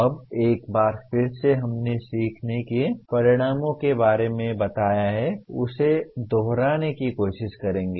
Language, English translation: Hindi, Now, once again we will try to repeat what we have stated about learning outcomes